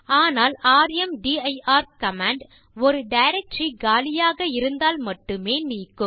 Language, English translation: Tamil, But rmdir command normally deletes a directory only then it is empty